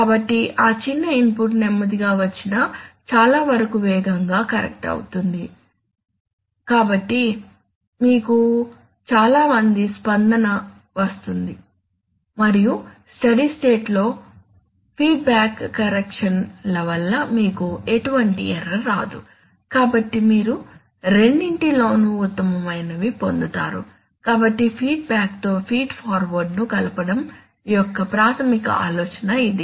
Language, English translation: Telugu, So even if that little input comes slowly much of the correction will come very fast, so you will get very good response and also in the steady state you will get no error because of the feedback corrections, right, so you got the best of both worlds, so this is the basic idea of combining feedback with feed forward and this is the reason why feedback is always combined with feed forward, pure feed forward is nearly never applied in anywhere